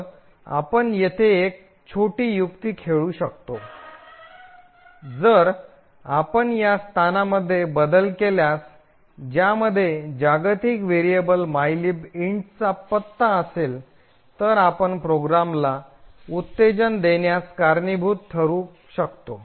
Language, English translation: Marathi, So, we can actually play a small trick over here, if we modify this particular location which contains the address of the global variable mylib int, we can actually cost the program to behave spuriously